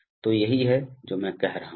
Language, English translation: Hindi, So this is what I am saying